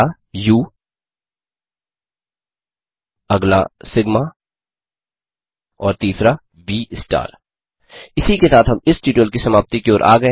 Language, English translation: Hindi, The first one U the next one Sigma and the third one V star This brings us to the end of the end of this tutorial